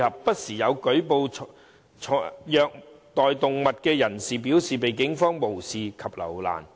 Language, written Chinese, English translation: Cantonese, 不時有舉報虐待動物的人士表示被警方無視及留難。, Complainants of animal abuse have frequently claimed that they have been ignored or distressed by the Police